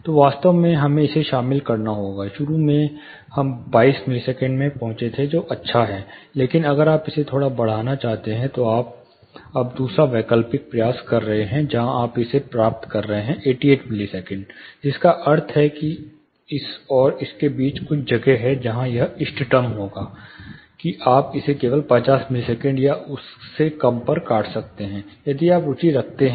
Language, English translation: Hindi, So, actually we have to contain this, initially we had arriving in 22 millisecond, which is you know good, but if you want to slightly increase it, you are now trying the second alternate, where you are taking it up here you are getting 8 millisecond, which means there is some place between this and this where it would be an optimum, that you can cut it to just 50 millisecond or lower, if you are interested